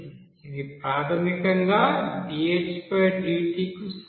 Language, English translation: Telugu, That will be is equal to dt